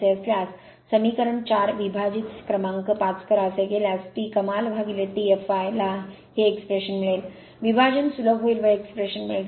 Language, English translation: Marathi, So, equation 4 divide equation number 4 by divide equation 5 if you do so, then T max upon T f l will you will get this expression, you divide and simplify you will get this expression right